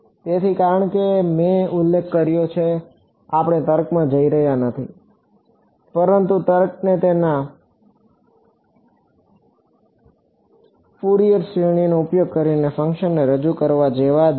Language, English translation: Gujarati, So, the reason; so, as I mentioned, we are not going into the reasoning, but the logic is similar to for example, representing a function using its Fourier series